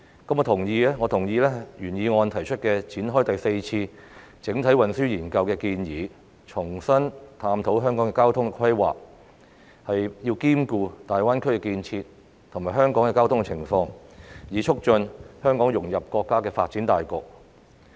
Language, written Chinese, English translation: Cantonese, 我同意原議案提出展開第四次整體運輸研究的建議，重新探討香港的交通規劃，兼顧大灣區建設及香港的交通情況，以促進香港融入國家的發展大局。, I support the proposal in the original motion to launch the Fourth Comprehensive Transport Study to re - examine the transport planning of Hong Kong taking into account the Greater Bay Area Development and the transport situations of the territory so as to facilitate Hong Kongs integration into the overall development of the Country